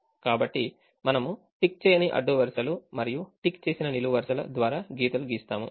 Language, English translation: Telugu, so we have drawn a lines through unticked rows and ticked columns